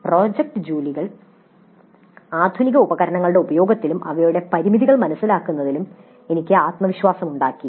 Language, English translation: Malayalam, Project work has made me confident in the use of modern tools and also in understanding their limitations